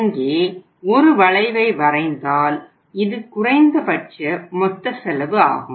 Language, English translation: Tamil, If you draw a curve here you will find something this is the least total cost